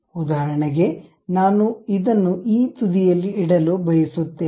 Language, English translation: Kannada, For example, I want to keep it to this end